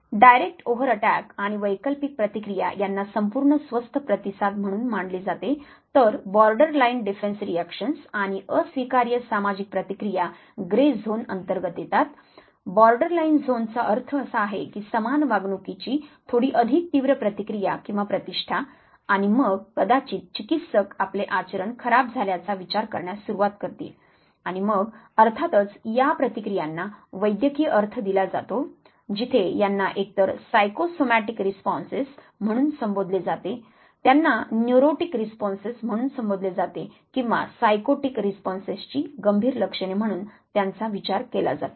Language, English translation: Marathi, Direct overt attack and substitute reactions they are considered as complete healthy response whereas borderline defense reactions and unacceptable social reactions they come under the grey zone ,the borderline zone means little more intense response or reputation of similar pattern of behavior and then perhaps clinicians will start considering that your behavior is aberrated and then of course, the clinical aspect of the behavior where the reactions are either called as psychosomatic responses they are called as neurotic responses or it could the symptoms could be grave enough to be consider as psychotic response